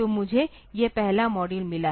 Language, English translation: Hindi, So, I have got this first module